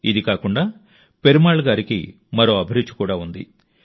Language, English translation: Telugu, Apart from this, Perumal Ji also has another passion